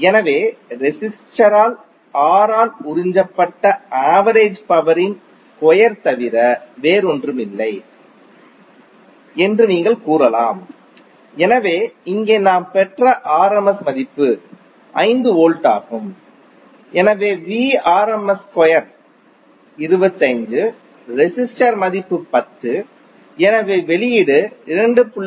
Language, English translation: Tamil, So the average power absorbed by the resistor you can say that P is nothing but rms square by R, so here rms value which we derived is 5 volts, so Vrms square is 25, resistor value is 10, so output would be 2